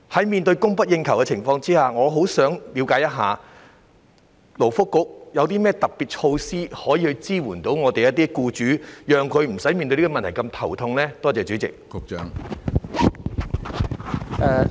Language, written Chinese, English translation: Cantonese, 面對供不應求的情況，我十分希望向勞工及福利局了解，局方有何特別措施支援僱主，令他們面對這個問題時無須那麼頭痛呢？, In view of the fact that the demand for FDHs exceeds the supply I very much hope to ask the Labour and Welfare Bureau a question what special measures does it have to support employers so that they will not have such a headache when they deal with these problems?